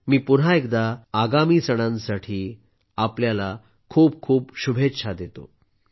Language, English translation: Marathi, Once again, I extend many best wishes for the upcoming festivals